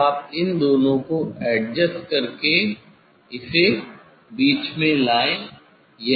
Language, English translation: Hindi, Now, you adjust these two bring it in middle